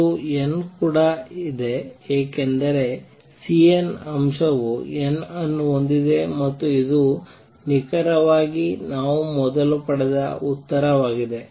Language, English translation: Kannada, There is an n also because the C n factor has n and this is precisely the answer we had obtained earlier